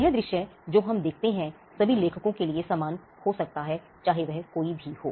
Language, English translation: Hindi, This site that we see could be the same for all authors regardless of who it is